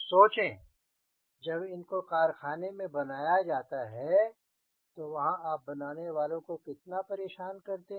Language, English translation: Hindi, think of way these have to manufactured in the workshop, how much you are bothering the person who are manufacturing